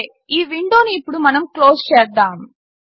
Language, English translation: Telugu, Okay, we will close this window now